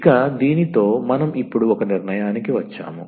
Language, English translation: Telugu, So, with this we come to the conclusion now